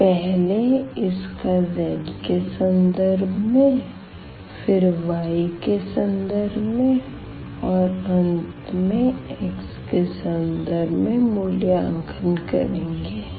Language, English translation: Hindi, So, first with respect to z, then with respect to y and at the end with respect to x